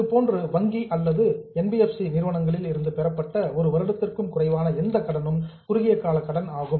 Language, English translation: Tamil, For that matter, any loan which is less than one year accepted from banks or NBFCs will be a short term borrowing